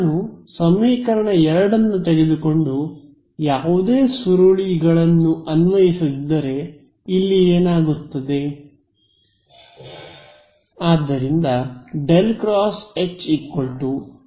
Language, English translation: Kannada, If I take equation 2 itself and do not apply any curls what happens here